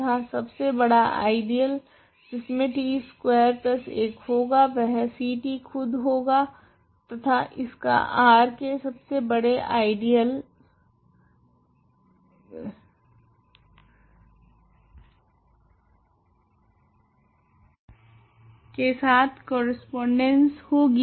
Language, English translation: Hindi, And the largest ideal that contains t squared plus 1 C t itself and that corresponds to the largest ideal of R